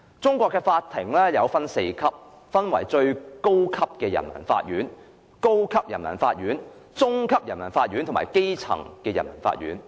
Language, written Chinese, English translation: Cantonese, 中國的法院分為4級：最高人民法院、高級人民法院、中級人民法院和基層人民法院。, Courts in China are divided into four levels the Supreme Peoples Court the Higher Peoples Court the Intermediate Peoples Court and the Basic Peoples Court